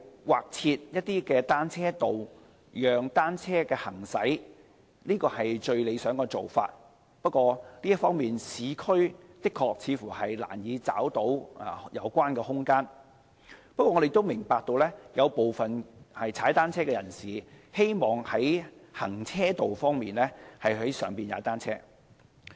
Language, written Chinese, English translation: Cantonese, 劃設單車道讓單車行駛是最理想的做法，不過在這方面，市區的確是難以找到有關的空間，但我們亦明白有部分騎單車人士希望在行車道上踏單車。, The designation of cycle lanes for use by bicycles is the best approach but concerning this it is really difficult to identify such space in the urban areas . Nevertheless we also understand that some cyclists wish to ride on carriageways